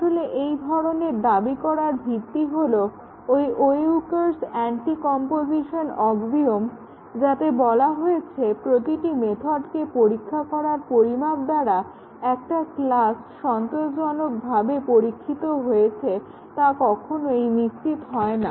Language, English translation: Bengali, Actually, the basis of making this claim is attributed to the Weyukar’s Anticomposition axiom, which says any amount of testing of individual methods cannot ensure that a class has been satisfactorily tested